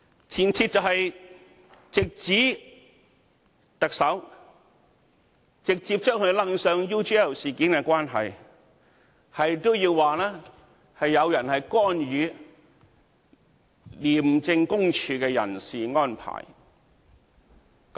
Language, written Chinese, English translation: Cantonese, 前設就是直指特首，直接將他扯上 UGL 事件的關係，直指有人干預廉政公署的人事安排。, The presupposition is to lay the blame on the Chief Executive to link him directly with the UGL incident and to lay the blame on him for intervening the personnel matters of ICAC